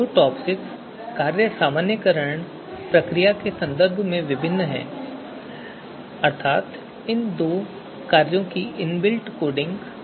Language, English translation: Hindi, So these two TOPSIS function are different in terms of the normalization procedure that is in built in the coding of these functions